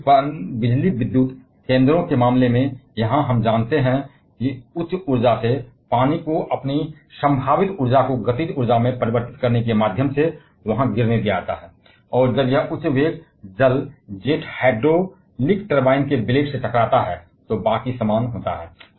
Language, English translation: Hindi, Whereas, in case of hydroelectric power stations, here we know that water from a higher elevation is allowed to fall through there by converting its potential energy to the kinetic energy, and when this high velocity water jet strikes the blades of the hydraulic turbine, then rest is the same